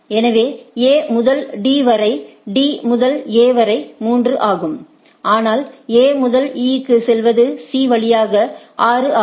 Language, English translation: Tamil, So, A to D to A is 3, but for going to A to E is via C is 6